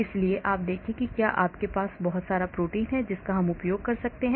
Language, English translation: Hindi, so you see if you have a lot of protein we can use this